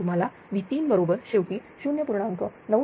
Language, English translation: Marathi, You will get V 3 is equal to ultimately 0